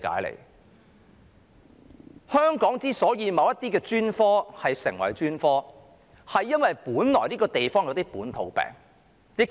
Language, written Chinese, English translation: Cantonese, 在香港，某些專科成為專科，是因為這個地方出現的一些本土病。, In Hong Kong certain specialties have emerged in response to certain local diseases developed in Hong Kong